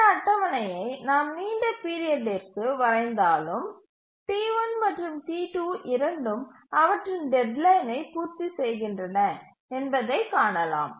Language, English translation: Tamil, Even if we draw this schedule for a long time period, we will see that both T1 and T2 meet their deadline